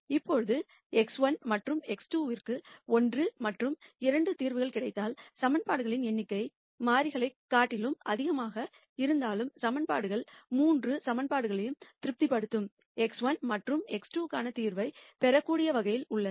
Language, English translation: Tamil, Now you notice that if I get a solution 1 and 2 for x 1 and x 2; though the number of equations are more than the variables, the equations are in such a way that I can get a solution for x 1 and x 2 that satis es all the 3 equations